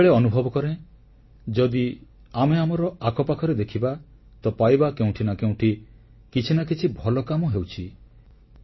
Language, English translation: Odia, I always feel that if we look around us, somewhere or something good always happens